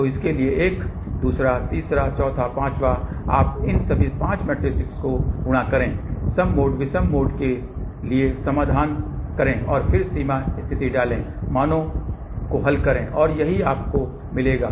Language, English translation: Hindi, So, one for this, second, third, fourth, fifth, you multiply all those 5 matrices, do the solution for even mode odd mode and then put the boundary condition, solve the values and this is what you will get